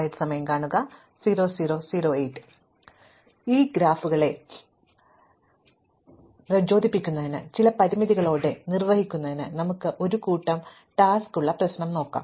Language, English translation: Malayalam, So, to motivate this class of graphs, let us look at a problem where we have a bunch of tasks to perform with some constraints